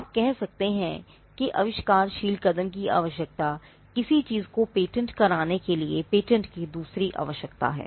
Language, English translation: Hindi, The inventive step requirement is the you can say it is the second requirement of patentability for something to be granted a patent